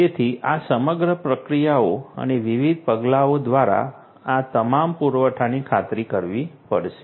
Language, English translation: Gujarati, So, all these supply through these entire processes and the different steps will have to be ensured